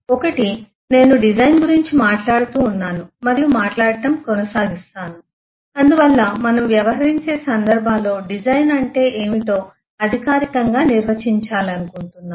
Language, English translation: Telugu, One is I have been and will continue to talk about design and so I just wanted to formally define what eh design will mean in the in the cases that we are dealing with